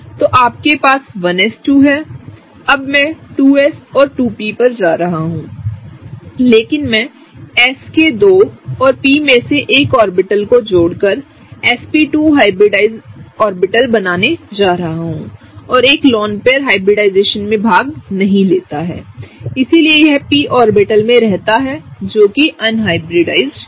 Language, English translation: Hindi, So, you have 1s2, now I am going to do 2s and 2p, but I am going to combine one of the s and two of the p’s to form the sp2 hybridized orbitals and one of the lone pair does not take part in hybridization, so it remains in the p orbital, right, the unhybridized p orbital, okay